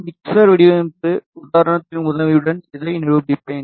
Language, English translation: Tamil, I will demonstrate this with the help of a mixer design example